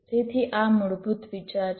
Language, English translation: Gujarati, so this is the requirement